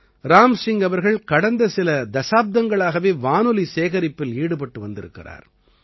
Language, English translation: Tamil, Ram Singh ji has been engaged in the work of collecting radio sets for the last several decades